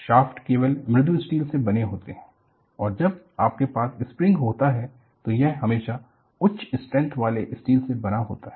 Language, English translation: Hindi, Shafts are made of only mild steel and when you have a spring, it is always made of high strength steel